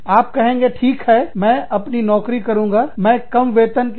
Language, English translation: Hindi, You will say, okay, i will keep the job, i will work for a lower wage